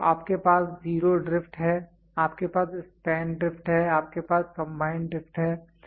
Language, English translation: Hindi, So, you have zero drift, you have span drift, you have combined drift